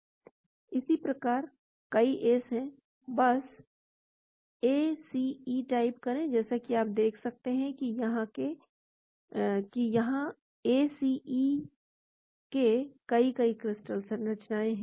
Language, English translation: Hindi, Again, there are many ACE, just type ACE, so as you can see there are many, many crystal structures of ACE here